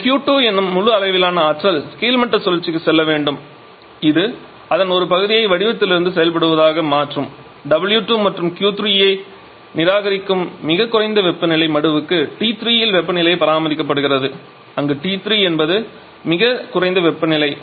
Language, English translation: Tamil, And out of this ideally this entire amount of energy Q 2 should go to the bottoming cycle which will convert a part of that as working from the form of w 2 and reject some Q 3 to the Q 3 to the lowest temperature sink which is maintained temperature T 3 where T 3 is the lowest temperature